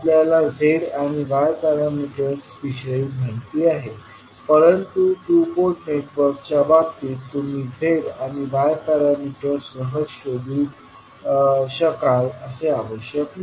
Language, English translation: Marathi, So we have seen z and y parameters, but in case of two Port network it is not necessary that you will always have a flexibility to find out the z and y parameters